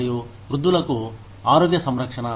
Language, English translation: Telugu, And, health care for the aged